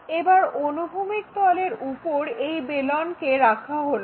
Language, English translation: Bengali, Now, this cylinder is placed on horizontal plane